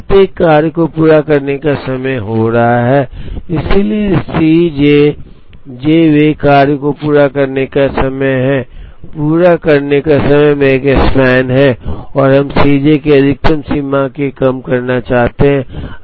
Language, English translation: Hindi, There are n jobs each is going to have a completion time, so C j is the completion of the j th job, the maximum of the completion times is the Makespan and we want to minimize the maximum of C j